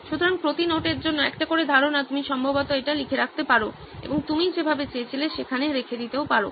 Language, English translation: Bengali, So one idea per note you can probably write it down and just place it there the way you wanted